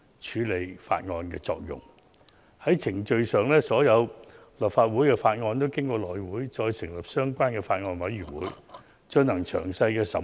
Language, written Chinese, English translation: Cantonese, 在程序上，所有立法會的法案皆要經過內務委員會成立相關法案委員會，進行詳細審議。, Procedurally all bills presented to the Legislative Council must undergo thorough deliberation at the relevant Bills Committees formed under the House Committee